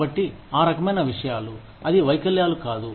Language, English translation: Telugu, So, that kind of things, it is not disabilities